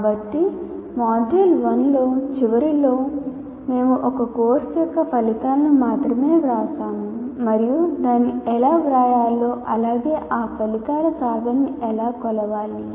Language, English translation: Telugu, So, at the end of module 1, we not only wrote outcomes of a program, outcomes of a course and how to write that as well as how to measure the attainment of these outcomes